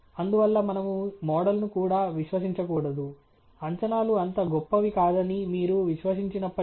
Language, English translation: Telugu, And therefore, we should not even trust the model; even if you were to trust that the predictions are not so great